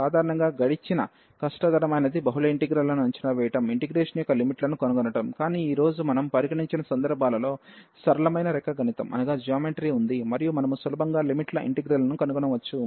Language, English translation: Telugu, The hardest past hardest passed usually is the evaluating multiple integral is the finding the limits of integration, but in cases which we have considered today there was simple a geometry and we can easily find the limits of integration